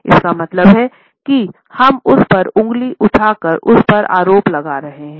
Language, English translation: Hindi, It means that we are accusing the other person by pointing the finger at him or her